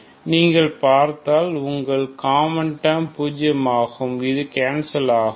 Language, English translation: Tamil, So you can see that this is common so this terms will be zero this gets canceled